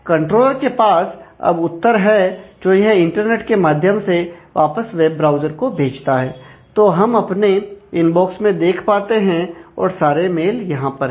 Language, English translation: Hindi, So, controller now has the response which it is sends back to the web browser through the internet, and we get to see that well now, my inbox and mails are all here